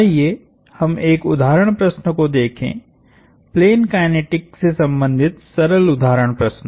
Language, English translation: Hindi, Let us look at an example problem, simple example problem related to plane kinetics